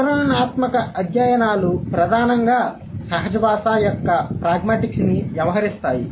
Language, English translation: Telugu, The descriptive studies primarily deal with the pragmatic, the pragmatics of natural language